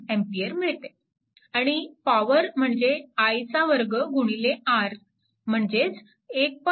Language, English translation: Marathi, 2 watt, right, this is the power i square r 7